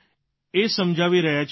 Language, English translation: Gujarati, We explain this Sir